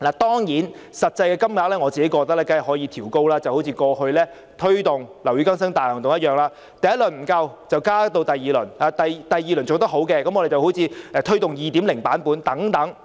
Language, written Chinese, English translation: Cantonese, 當然，我認為實際金額可以調高，好像過去推動"樓宇更新大行動"一樣，第一輪不足夠的話，便加推第二輪；如果第二輪做得好，就推行"樓宇更新大行動 2.0" 等。, Of course I think the actual amount can be revised upwards . This is like launching Operation Building Bright in the past . When the first round proved to be not enough we launched a second round